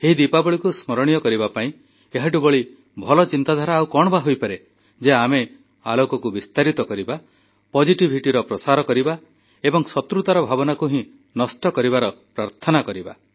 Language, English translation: Odia, To make this Diwali memorable, what could be a better way than an attempt to let light spread its radiance, encouraging positivity, with a prayer to quell the feeling of animosity